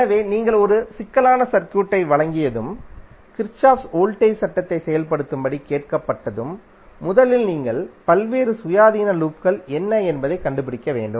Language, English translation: Tamil, So when you have given a complex circuit and you are asked to execute the Kirchhoff’s voltage law, then you have to first find out what are the various independent loop